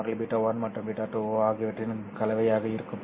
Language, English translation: Tamil, The propagation constant will be a combination of beta 1 and beta 2